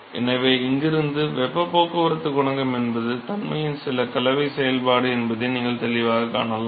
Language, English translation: Tamil, So, similarly; so from here you can clearly see that heat transport coefficient is a function of some combination of the property